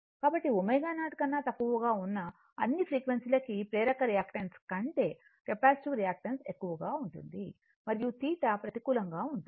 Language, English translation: Telugu, So, all frequencies below omega 0 that capacitive reactance is greater than the inductive reactance right and this is negative theta therefore, theta is negative